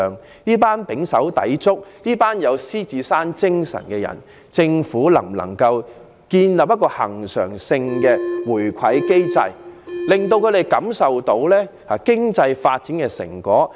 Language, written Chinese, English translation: Cantonese, 政府能否為這群胼手胝足、富有獅子山精神的市民建立恆常回饋機制，令他們感受到經濟發展的成果？, Can the Government establish a reward mechanism to share the fruits of economic development with these hardworking people who give play to the spirit of the Lion Rock?